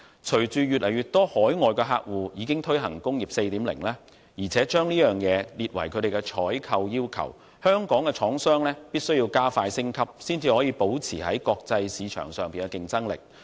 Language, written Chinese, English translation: Cantonese, 隨着越來越多海外客戶已推行"工業 4.0"， 並將之列入採購要求，香港的廠商必須加快升級，才能保持在國際市場上的競爭力。, As more and more overseas clients have adopted Industry 4.0 and incorporated it into their procurement requirements it is important for Hong Kong manufacturers to expeditiously upgrade themselves so as to maintain their competitiveness in the international market